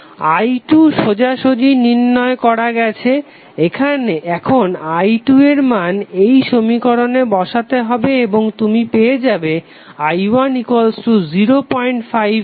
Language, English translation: Bengali, I2 you have a straightaway found, next is you have to just place the value of i2 in this equation and you will get current i1 as 0